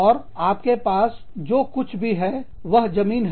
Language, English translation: Hindi, And, all you have is, the land